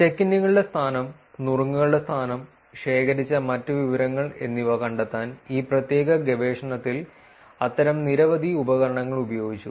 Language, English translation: Malayalam, Many of such tools were used in this particular research to find out the location of the check ins, location of tips, and other information that was collected